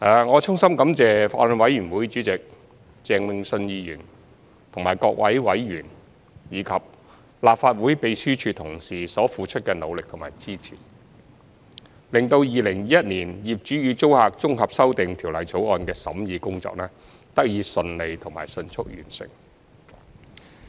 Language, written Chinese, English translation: Cantonese, 我衷心感謝法案委員會主席鄭泳舜議員和各位委員，以及立法會秘書處同事所付出的努力和支持，令《2021年業主與租客條例草案》的審議工作得以順利及迅速完成。, My heartfelt thanks go to Mr Vincent CHENG Chairman of the Bill Committee members of the Bills Committee and staff members of the Legislative Council Secretariat for their efforts and support which have enabled the scrutiny of the Landlord and Tenant Amendment Bill 2021 the Bill to be completed smoothly and expeditiously